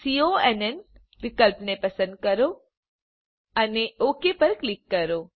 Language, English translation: Gujarati, Choose conn option and click on OK